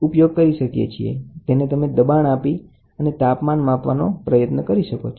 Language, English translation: Gujarati, So, you can try to push it and then try to get the temperature